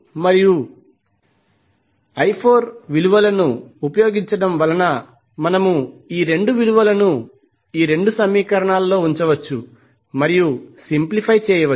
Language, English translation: Telugu, So using I 2 value and the value of I 4, we can put these 2 values in these 2 equations and simplify